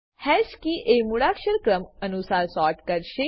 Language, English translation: Gujarati, This will sort the hash keys in alphabetical order